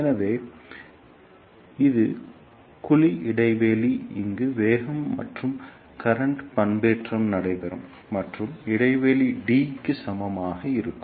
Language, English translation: Tamil, So, this is the cavity gap where velocity and current modulation takes place and the gap is equal to d